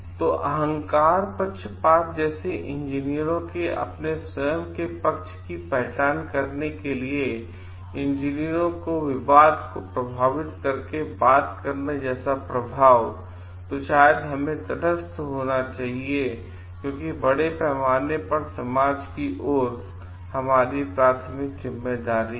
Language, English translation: Hindi, So, ego baises like influencing by talking influencing engineers to identify their own side of the dispute; which is maybe we should be neutral, because the primary responsibility is towards the society at large